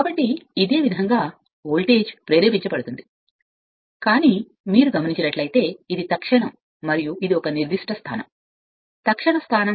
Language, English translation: Telugu, So, if it and this same way the voltage will be induced right, but if you look into that this is that instant the and this is a particular position right instantaneous position we call